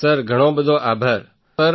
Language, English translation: Gujarati, Sir thank you so much sir